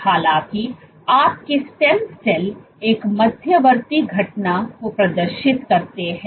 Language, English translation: Hindi, However, your stem cells exhibit an intermediate phenomenon